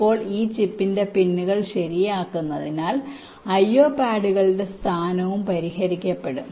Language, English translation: Malayalam, now, because the pins of this chip will be fixed, the location of the i o pads will also be fixed